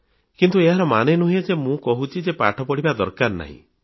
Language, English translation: Odia, But that does not mean that I'm implying that you don't have to study at all